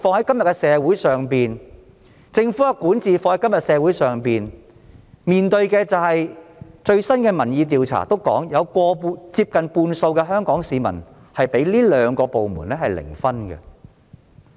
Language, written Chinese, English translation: Cantonese, 今天社會面對警暴問題及政府管治問題，最新的民意調查指出，接近半數香港市民認為這兩個部門的得分是零。, Today we are facing police violence and governance issues . According to the latest public opinion poll nearly 50 % of Hong Kong people gave zero marks to these two departments